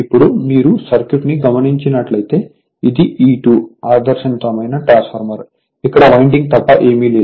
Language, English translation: Telugu, Now, if you look into the circuit like this so, this is my E 2 is equal to this is an ideal transformer as if nothing is here except winding